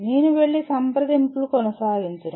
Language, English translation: Telugu, I am not going to keep going and consulting